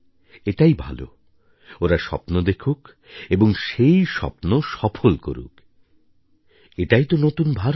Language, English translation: Bengali, I feel it is good, dream big and achieve bigger successes; after all, this is "the New India"